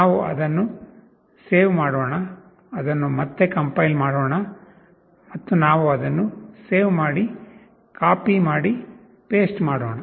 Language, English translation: Kannada, Let us save it, compile it again and we save this, copy, paste